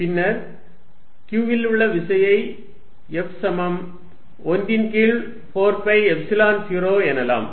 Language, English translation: Tamil, Then, the force on q is given as F is equal to 1 over 4 pi Epsilon 0